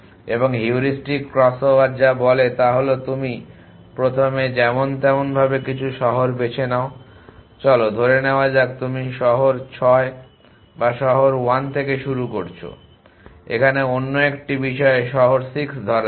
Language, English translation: Bengali, And what the heuristic crossover says is at you first random a choose some city so let us say you started city 6 or city 1 lets a city 6 in another matter